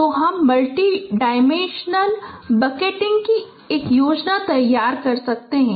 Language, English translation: Hindi, So you can design a scheme of multi dimensional bucketing